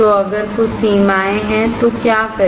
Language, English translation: Hindi, So, what to do if there are some limitations